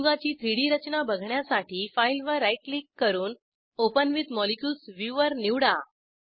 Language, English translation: Marathi, To view the compound in 3D, right click on the file, choose the option Open with Molecules viewer